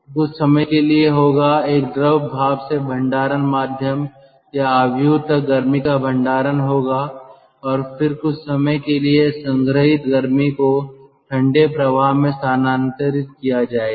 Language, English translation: Hindi, so for the time being, for some time there will be, for some time there will be heat, heat storage from a fluid steam to the, to the storage medium or matrix, and then for some time the stored heat will be transferred to the cold stream